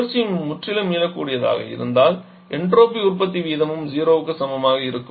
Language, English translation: Tamil, And the cycle is completely reversible then the rate of entropy generation also will be equal to 0